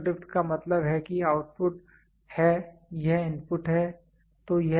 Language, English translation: Hindi, Zero drift means it is output, this is input